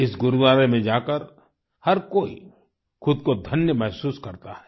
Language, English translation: Hindi, Everyone feels blessed on visiting this Gurudwara